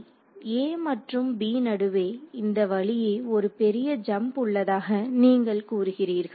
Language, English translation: Tamil, You are saying that between a and b, there is a big jump in direction